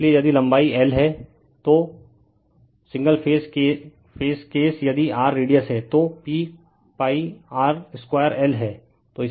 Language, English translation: Hindi, So, if length is l and the single phase case if r is the radius, so pi r square l right